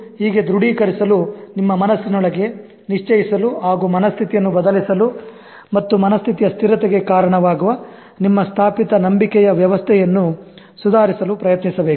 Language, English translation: Kannada, One at a time to affirm, to confirm in your mind and change that mindset and reform your established belief system that is contributing to the fixity of the mindset